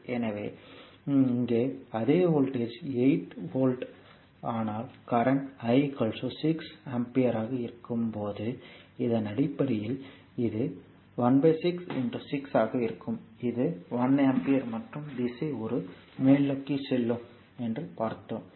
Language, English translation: Tamil, So, same voltage here also 8 volt, but current I is equal to your 6 ampere here I is equal to 6 ampere is given look at that point when I am making 6 ampere